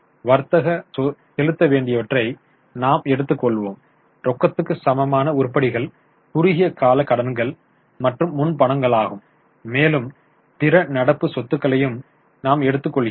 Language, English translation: Tamil, We take trade receivables, cash cash equivalence, short term loans and advances and other current assets